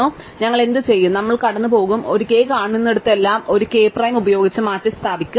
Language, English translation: Malayalam, So, what we will do is, we will go through and wherever we see a k, we will replace by a k prime